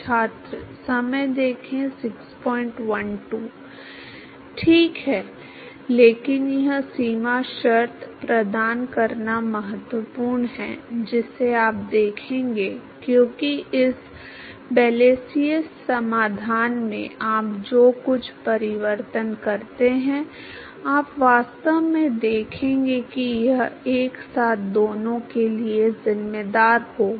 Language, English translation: Hindi, Right, but it is important to provide this boundary condition you will see because some of the transformation you make in this Blasius solution, you will actually see that it will account for both simultaneously